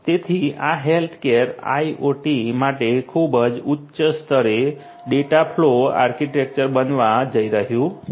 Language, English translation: Gujarati, So, this is going to be the dataflow architecture at very high level for healthcare IoT